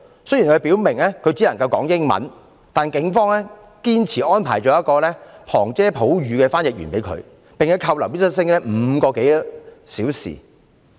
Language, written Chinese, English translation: Cantonese, 雖然他表明自己只能夠說英文，但警方堅持安排一名旁遮普語的翻譯員給他，並把他扣留5個多小時。, Although he clearly indicated he spoke English only the Police insisted on arranging a Punjabi interpreter for him and detained him for more than five hours